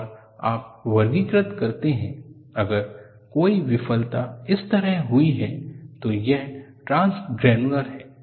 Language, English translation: Hindi, And you classify, if a failure has happen like this, as transgranular